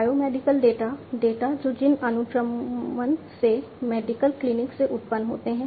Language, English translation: Hindi, Biomedical data, data that are generated from gene sequencing, from medical clinics